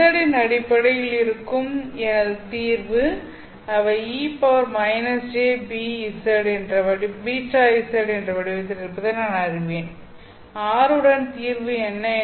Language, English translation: Tamil, My solutions in terms of Z I know they are of the form e power minus j beta z